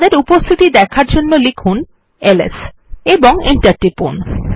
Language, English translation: Bengali, To see there presence type ls and press enter